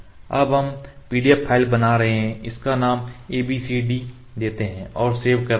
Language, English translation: Hindi, And also we can have the PDF file PDF may not making PDF file we just named it abcd